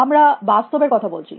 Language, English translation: Bengali, We are talking about reality